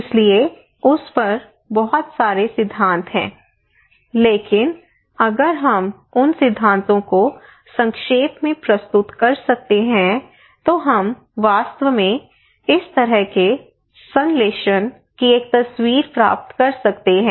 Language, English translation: Hindi, So there are a lot of theories on that, but if we can accumulate those theories summarise them we can actually get a picture of a kind of synthesis of this one